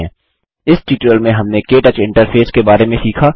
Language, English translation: Hindi, In this tutorial we learnt about the KTouch interface